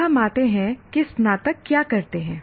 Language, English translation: Hindi, Now we come to what do graduates do